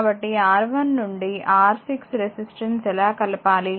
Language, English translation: Telugu, So, how do we will combine resistor R 1 through R 6